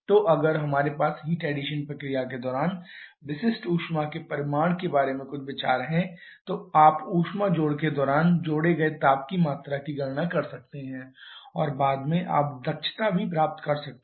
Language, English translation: Hindi, So, if we have some idea about the magnitude of specific heat during the heat addition process then you can calculate the amount of heat added during the heat addition and subsequently you can get the efficiency as well